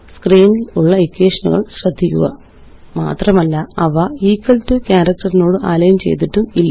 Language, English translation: Malayalam, Notice the equations on the screen, and they are not aligned on the equal to character